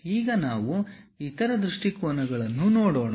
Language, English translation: Kannada, Now, let us look at other views